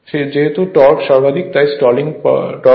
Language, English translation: Bengali, Since the torque is maximum that is the stalling torque right